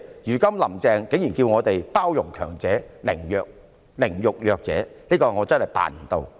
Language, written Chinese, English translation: Cantonese, "如今"林鄭"竟然叫我們包容強者，凌辱弱者，我真的辦不到。, Now Carrie LAM blatantly asks us to be tolerant of the mighty and ride roughshod over the vulnerable . In no way can I do so